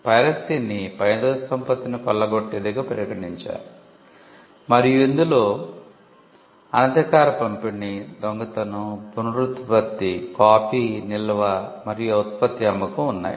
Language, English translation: Telugu, Piracy was regarded as plundering of intellectual property and it included unauthorised distribution, theft, reproduction, copying, performance, storage and sale of the product